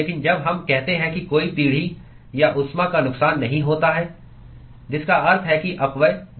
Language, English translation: Hindi, But when we say that there is no generation or loss of heat, which means that the dissipation is 0